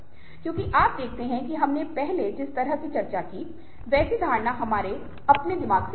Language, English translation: Hindi, because you see, that much the perception, as we have discussed earlier, comes from our own minds